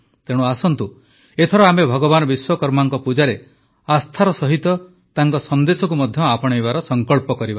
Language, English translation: Odia, Come, this time let us take a pledge to follow the message of Bhagwan Vishwakarma along with faith in his worship